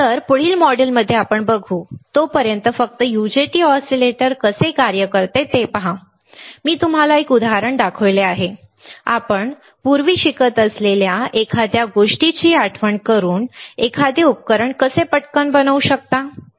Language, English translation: Marathi, So, I will see in the next module, by the time just look at it how the UJT oscillator works, right, I have shown you in an example; how you can fabricate a device very quickly just recalling something that you are learning earlier